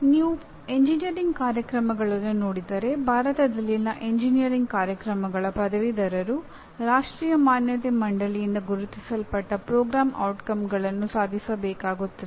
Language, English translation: Kannada, Engineering programs if you look at, the graduates of engineering programs in India are required to attain a set of Program Outcomes identified by National Board of Accreditation